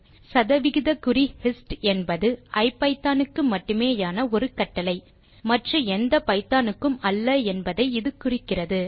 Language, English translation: Tamil, This implies that percentage hist is a command that is specific to IPython only and not to any other version of python